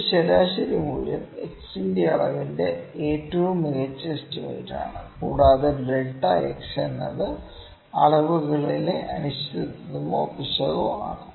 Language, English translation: Malayalam, This mean value is the best estimate of the measurement of x, and delta x is the uncertainty or error in the measurements